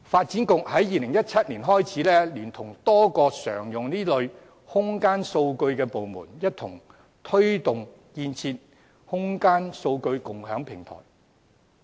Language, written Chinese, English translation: Cantonese, 自2017年起，發展局聯同多個常用這類空間數據的部門，一同推動建設空間數據共享平台。, Since 2017 the Development Bureau has joined hands with departments frequently using such kind of spatial data to promote the establishment of CSDI